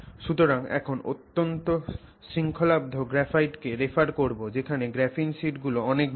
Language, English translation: Bengali, So, now what we referred to as highly ordered graphite is a graphetic sample where these graphene sheets are very large in extent